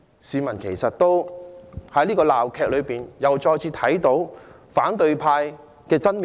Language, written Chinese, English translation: Cantonese, 市民在這場鬧劇裏再次看到反對派的真面目。, In this farce the public can discern the true face of the opposition camp again